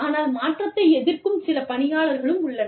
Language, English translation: Tamil, There are some people, who are resistant to change